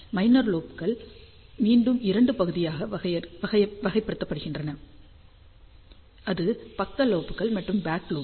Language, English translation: Tamil, Minor lobes are classified again in two parts; and that is side lobes and then back lobe